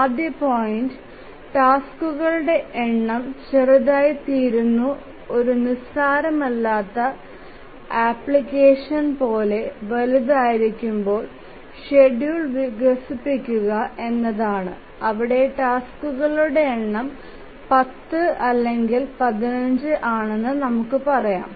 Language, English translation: Malayalam, The first point is that how do we really develop the schedule when the number of tasks become large, like slightly non trivial application where the number of tasks are, let's say, 10 or 15